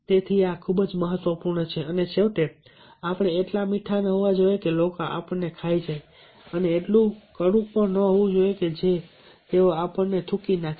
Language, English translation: Gujarati, and finally, we should not be so sweet that people will eat us up, nor so bitter that they will spit us out